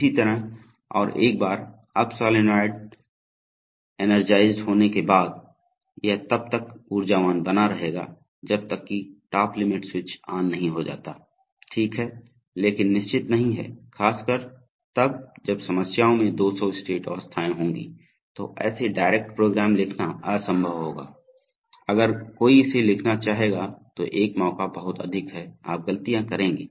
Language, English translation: Hindi, Similarly and once the up solenoid is energized it will remain energized until the top limit switches, looks okay, but one is never sure and especially when problems will have 200 states then will be impossible to write such direct programs, when a chances will be very high then if somebody wants to write it you will make mistakes